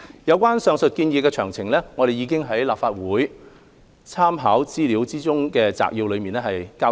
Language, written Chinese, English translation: Cantonese, 有關上述建議的詳情，我們已在立法會參考資料摘要中交代。, We have set out the details of the above recommendations in the Legislative Council Brief